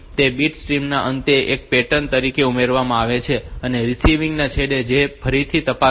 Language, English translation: Gujarati, So, that is added at the end of the bit stream to as a pattern and at the receiving end which again check it